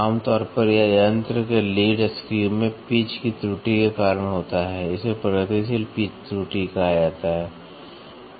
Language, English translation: Hindi, Generally, it is caused by the pitch error in the lead screw of the machine this is called as progressive pitch error